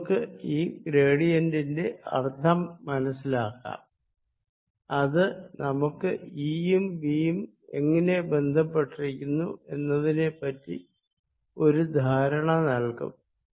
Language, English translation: Malayalam, right, let us understand the meaning of this gradient, which will also give us insights into how e and v are related